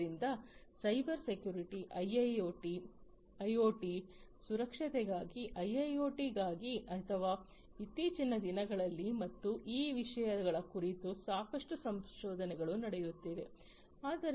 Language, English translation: Kannada, So, Cybersecurity, security for IoT security for IIoT or hot topics nowadays, and lot of research are going on these topics